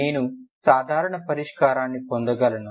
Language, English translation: Telugu, I can get the general solution